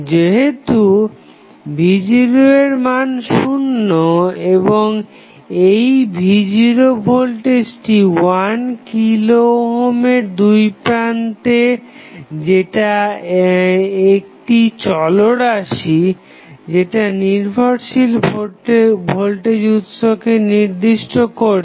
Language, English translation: Bengali, So, since V naught value is 0 and this value V naught which is across 1 kilo ohm is the variable which defines the value of dependent voltage source